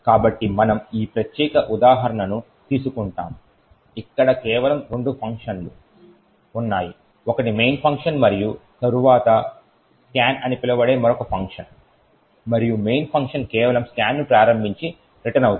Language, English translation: Telugu, So, we will take this particular example where there are just two functions one the main function and then another function called scan and the main function is just invoking scan and then returning